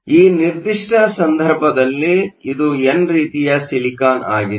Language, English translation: Kannada, So, in this particular case, it is n type silicon